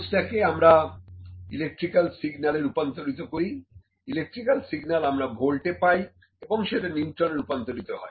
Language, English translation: Bengali, The force is converted into electrical signal, and that an electrical signal is electrical signals in the voltage, that voltage is then converted into Newton’s